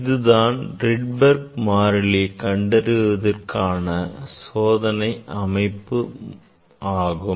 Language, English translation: Tamil, this is our experimental set up for determination of the, for determining the Rydberg constant